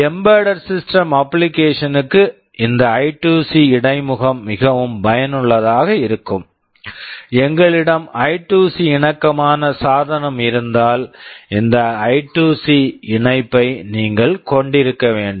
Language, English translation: Tamil, For embedded system application this I2C interface can be very useful, if we have a device that is I2C compatible then you have to have this I2C connection